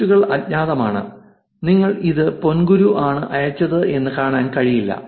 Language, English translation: Malayalam, And the posts are anonymous you really do not get to see it is ponguru